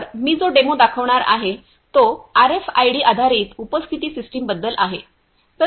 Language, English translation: Marathi, So, the demo that I am going to show is about RFID based attendance system